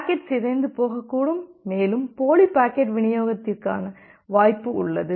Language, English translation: Tamil, The packet can get corrupted as well and there is a possibility of duplicate packet delivery